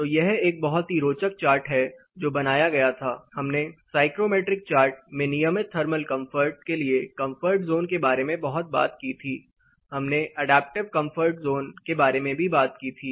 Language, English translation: Hindi, So, it is a very interesting chart which was created, we talked lot about comfort zone for regular thermal comfort in psychometric chart plus, we also talk about adaptive comfort zone